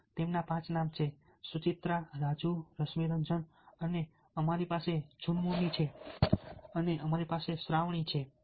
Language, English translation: Gujarati, so the five of them: suchitra raju rashmiranjan and we have junmoni and we have hm shravani